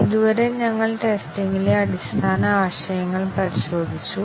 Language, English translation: Malayalam, So far, we have looked at basic concepts on testing